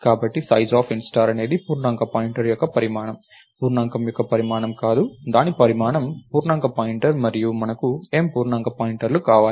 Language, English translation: Telugu, So, sizeof int star is sizeof integer pointer, not sizeof integer its sizeof integer pointer and we want M integer pointers